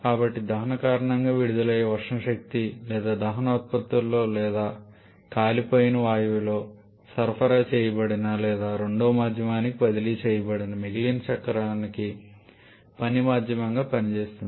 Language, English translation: Telugu, So, the thermal energy released because of combustion or which is contained in the combustion products or burnt gaseous that is supplied or transferred to a second medium which acts as the working medium for the rest of the cycle